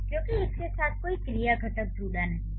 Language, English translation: Hindi, This doesn't have any verb component associated with it